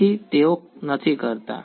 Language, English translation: Gujarati, So, they do not